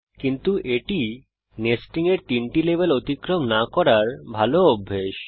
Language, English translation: Bengali, But it is a good practice to not go beyond 3 levels of nesting